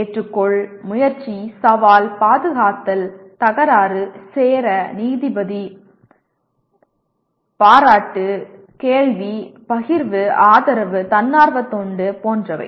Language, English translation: Tamil, Accept, attempt, challenge, defend, dispute, join, judge, praise, question, share, support, volunteer etc